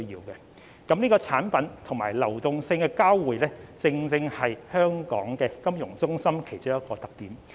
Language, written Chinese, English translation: Cantonese, 上述所說的產品及流動性的交匯，正正是香港金融中心其中一個特點。, Our role as a meeting point in respect of products and liquidity as I have explained above is precisely a characteristic of the financial centre in Hong Kong